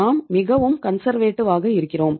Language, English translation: Tamil, We are highly conservative